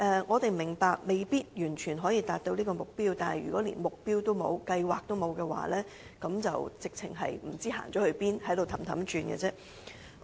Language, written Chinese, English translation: Cantonese, 我們明白目標未必可以完全達到，但如果連目標和計劃也欠缺，便會不知方向，原地踏步。, We understand that we may not be able to fully achieve our target but if we do not even set a target or lay down a plan we will lose our direction and make no progress